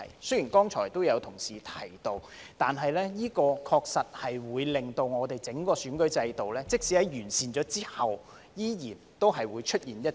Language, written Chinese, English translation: Cantonese, 雖然剛才也有同事提到，但這確實會令整個選舉制度即使在完善後，仍然會出現一些漏洞。, Though some colleagues have talked about this earlier the arrangement will actually create certain loopholes in the entire electoral system despite the improvement made